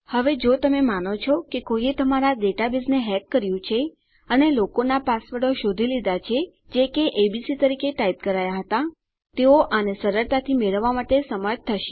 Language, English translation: Gujarati, Now if you say someone hacked into your database and finds out peoples passwords which is typed in as abc, they will be able to get it easily